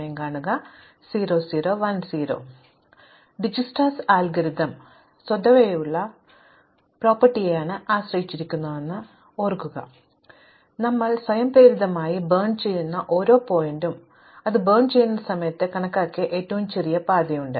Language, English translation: Malayalam, So, recall that the correctness for Dijsktra's algorithm relied on an invariant property that every vertex that we burn automatically has the shortest path computed at the time when we burn it